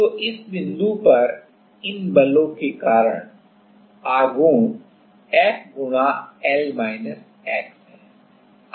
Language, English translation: Hindi, So, the moment at this point, because of these forces is F into L x